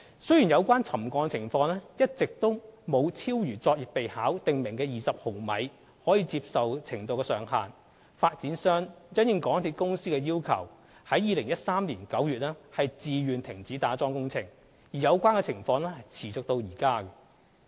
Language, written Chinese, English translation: Cantonese, 雖然有關沉降情況一直沒有超逾《作業備考》訂明的20毫米的可接受程度上限，發展商因應港鐵公司要求於2013年9月自願停止打樁工程，而有關情況持續至今。, Although the settlements has not exceeded the maximum tolerable settlement limit of 20 mm which is stipulated in the PNAP upon the request of MTRCL the developer of the development project voluntarily suspended the piling works in September 2013 and the situation has remained so until present